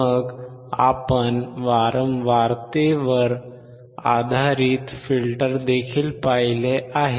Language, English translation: Marathi, Then we have also seen the filters based on the frequency